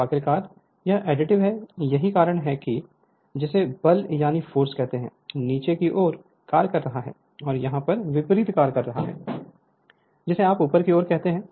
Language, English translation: Hindi, So, finality it is additive that is why it is you are what you call force is acting downwards, and just opposite here the force is acting you are what you call upwards right